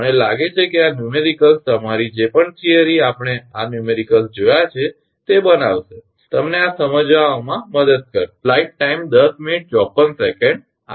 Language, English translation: Gujarati, I think this numericals will make your whatever theory we have seen this numericals will help you to understand this